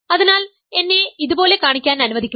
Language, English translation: Malayalam, So, this let me show it like this